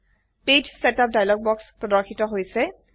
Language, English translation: Assamese, The Page Setup dialog box is displayed